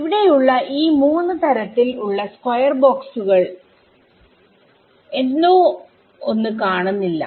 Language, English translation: Malayalam, So, from these three sort of square boxes is there something that is missing still